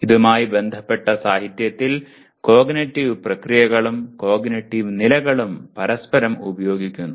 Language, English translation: Malayalam, In literature cognitive processes and cognitive levels are used interchangeably